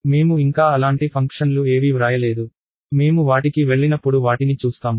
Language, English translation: Telugu, We have not written any such a functions yet, we will see them as we go along